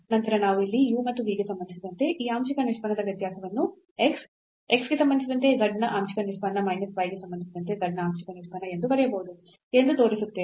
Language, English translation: Kannada, And, then we will show that this partial derivative the difference of this partial derivative here with respect to u and v can be written as x partial derivative of z with respect to x minus the partial derivative of z with respect to y